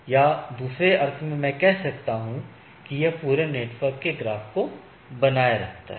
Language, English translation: Hindi, Or in other sense I so, we can look at that it keeps a network graph in a sense right